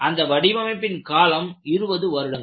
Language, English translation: Tamil, The actual design life was 20 years